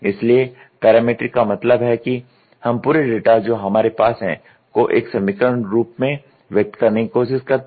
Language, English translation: Hindi, So, we tried to parametric means we try to express the entire data whatever we have into an equation form